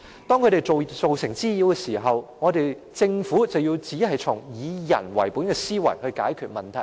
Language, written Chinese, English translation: Cantonese, 當牠們造成滋擾時，政府卻只從"以人為本"的思維來解決問題。, When they cause nuisances the Government merely tackle these nuisances with a people - oriented mindset